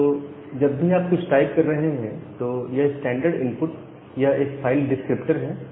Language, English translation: Hindi, Now whenever you are typing something that standard input it is again a file descriptor